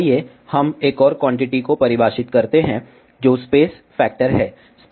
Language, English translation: Hindi, Let us define another quantity, which is space factor